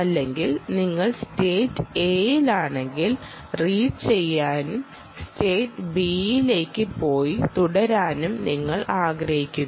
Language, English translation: Malayalam, or, if you are in state a, you want to read and go to state b and remain there for some time